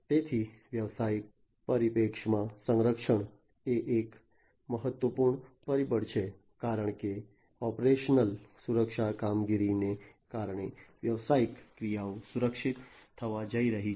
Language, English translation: Gujarati, So, protection is an important factor in business perspective, because of the operational security operations the business actions are going to be protected